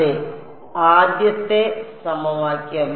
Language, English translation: Malayalam, That is my first equation ok